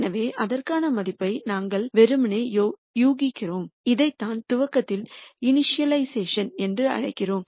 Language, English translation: Tamil, So, we simply guess a value for that and this is what we call as initialization in the optimization